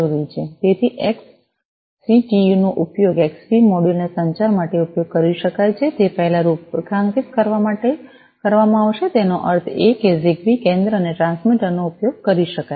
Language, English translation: Gujarati, So, XCTU will be used to configure the Xbee modules before they can be used for communication; that means, the ZigBee center and the transmitters could be used